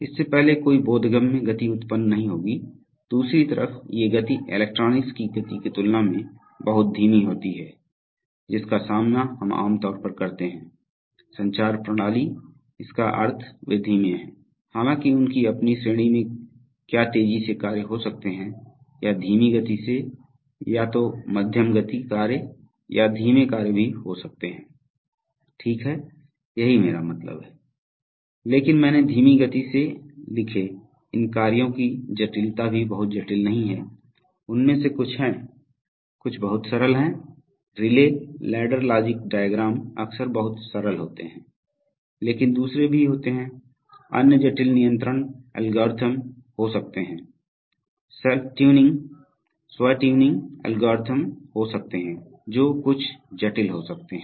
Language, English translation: Hindi, Before that no perceptible motion will be produced, on the other hand these speeds are much slower compared to the speed of electronics, which we typically encountered in let us say, communication system, so in that sense they are slow, although within their own category is there can be fast tasks and slowed or medium fast task or even slow tasks, right, so that is what I wanted to mean, but I wrote slow fast, the complexity of these tasks are also not very complex, some of them are, some they are very simple, relay ladder logic diagrams are often very simple but there are other, there could be other complicated control algorithms, there could be self tuning algorithms which are, which could be somewhat complicated